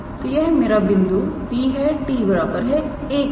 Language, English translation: Hindi, So, this is my point P for t equals to 1